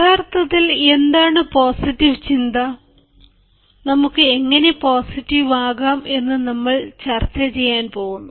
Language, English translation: Malayalam, we are going to discuss what actually is positive thinking and how can we be positive